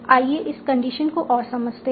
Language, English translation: Hindi, And let us try to understand this condition